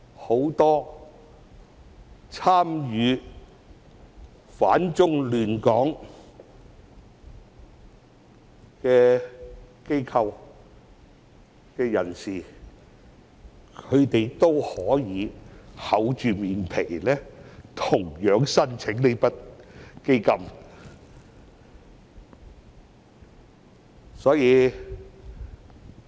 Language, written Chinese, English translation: Cantonese, 很多參與反中亂港的機構和人士都可以厚着臉皮申請這筆基金。, Without being abashed many organizations and people opposing the Chinese Government and stirring up trouble in Hong Kong have also applied for this fund